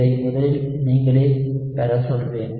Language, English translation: Tamil, I will ask you to derive this first yourself